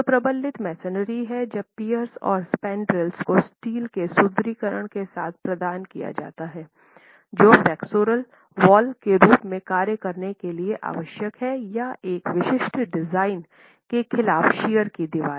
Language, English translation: Hindi, So strictly speaking reinforced masonry is when the piers and the spandrels are provided with steel reinforcement necessary enough to act as flexual walls or shear walls against a specific design